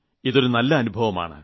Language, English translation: Malayalam, This is a wonderful experience